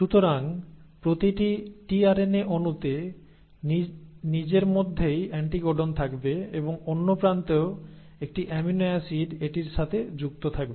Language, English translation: Bengali, So each tRNA molecule in itself will have a complimentary anticodon and at the other end will also have an amino acid attached to it